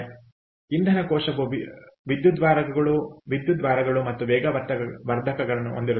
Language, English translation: Kannada, so fuel cell consists of electrodes and a catalyst